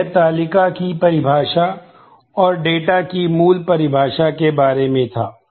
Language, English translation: Hindi, Now, that was about the definition of the table and the basic definition of the data